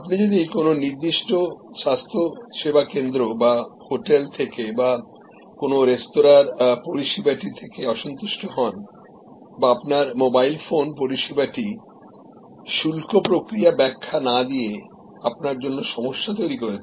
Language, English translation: Bengali, If you are unhappy with the service from a particular health care center or from a hotel or from a restaurant or your mobile phone service has created a problem for you by not explaining it is tariff mechanism